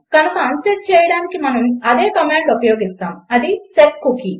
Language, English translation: Telugu, So to unset we use the same command and thats setcookie